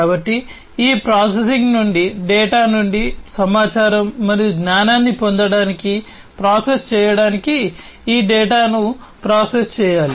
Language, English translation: Telugu, So, this data will have to be processed, to process in order to get information and knowledge out of the data from this processing